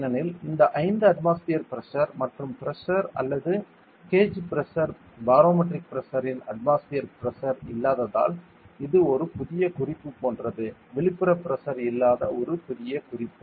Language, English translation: Tamil, Because this 5 atmospheric pressure and pressure or the gauge pressure is devoid of the atmospheric pressure of the barometric pressure so this is like a new reference; a new reference that is devoid of the external pressure